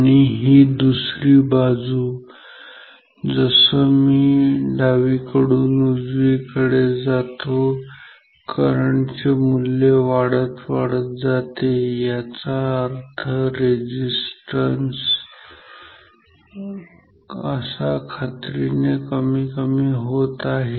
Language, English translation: Marathi, And, this side, so, as I go from the left to the right the current value is increasing which means the resistance is definitely decreasing ok